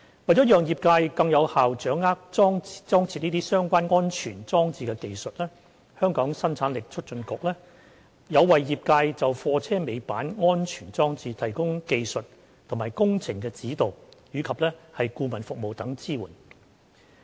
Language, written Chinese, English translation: Cantonese, 為了讓業界更有效掌握裝設相關安全裝置的技術，香港生產力促進局有為業界就貨車尾板安全裝置提供技術及工程指導及顧問服務等支援。, In order to better equip the industry with the technique required to install the safety devices the Hong Kong Productivity Council is providing relevant technical support and consultancy services to the industry